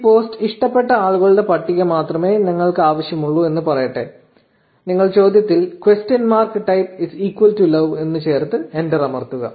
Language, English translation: Malayalam, So, let us say we only want the list of people, who loved this post, you add question mark type is equal to love in the query and press enter